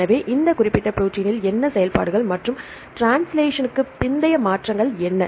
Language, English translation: Tamil, So, what are the functions and what are the post translational modifications occurred in this particular protein